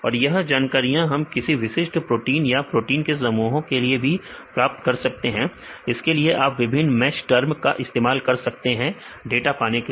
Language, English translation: Hindi, We can get the data for any specific protein as well as the group of proteins you can use you can use different MESH terms you can obtain the data